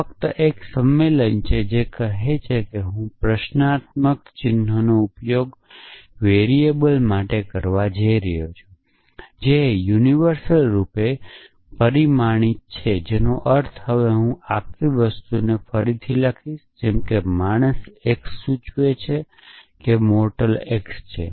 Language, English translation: Gujarati, So, this is just a convention which says that I am going to use the question mark to stands for a variable, which is universally quantified, which means I will now rewrite this whole thing as follows that man x implies mortal x